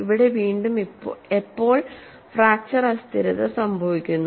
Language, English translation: Malayalam, Here, again when does fracture instability occurs